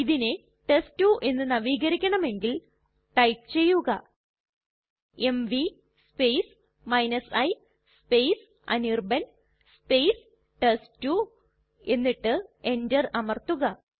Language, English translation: Malayalam, This file we also want to renew as test2 We will type mv space i space anirban space test2 and press enter